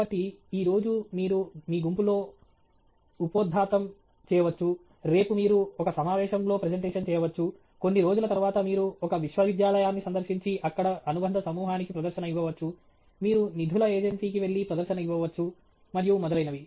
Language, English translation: Telugu, So, today you may make a presentation in your group, tomorrow you may make a presentation in a conference, a few days later you may visit a university and make a presentation to an allied group there, you may go to a funding agency make a presentation and so on